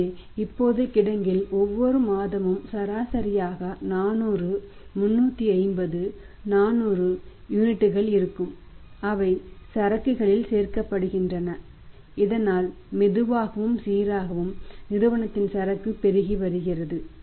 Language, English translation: Tamil, So it means that now in the warehouse there will be on an average 400, 350, 400 units all the times every month they are added to the inventory and that was slowly and steadily the Inventory of the firm is mounting